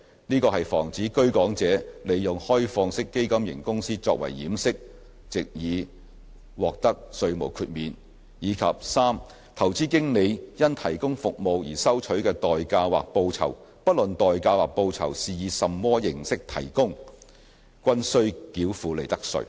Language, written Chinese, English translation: Cantonese, 這是防止居港者利用開放式基金型公司作為掩飾，藉以獲得稅項豁免；及 c 投資經理因提供服務而收取的代價或報酬，不論是以甚麼形式提供，均須繳付利得稅。, This is to prevent round - tripping by a Hong Kong resident person disguising as an OFC to take advantage of the tax exemption; and c consideration or remuneration received by investment managers for providing investment services should be chargeable to profits tax disregarding how the consideration or remuneration is paid